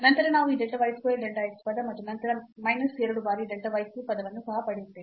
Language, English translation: Kannada, Then we will also get this delta y square, delta x term and then minus 2 times delta y cube term